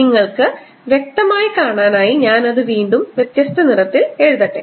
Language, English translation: Malayalam, ok, let me write it again in different color so that you see it clearly